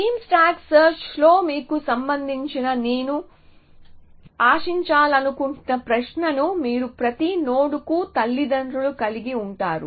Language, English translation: Telugu, So, the question I want to ask which i hope has occurred to you is in beam stack search you have the parents of every node